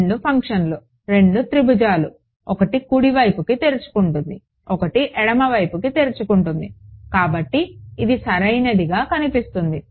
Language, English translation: Telugu, Two functions, two triangles, one opening to the right one opening to the left; so, it is going to look like correct